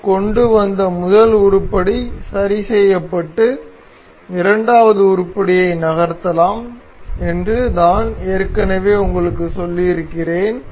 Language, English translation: Tamil, As I have already told you the first item that we bring in remains fixed and the second item can be moved